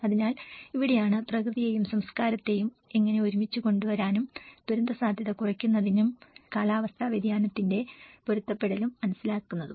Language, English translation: Malayalam, So, this is where how to bring nature and culture together and understand in the disaster risk reduction and the climate change adaptation